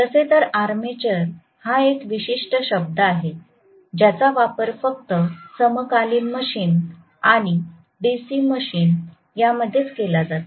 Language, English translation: Marathi, By the way armature is the specific term used only in synchronous machine and DC machine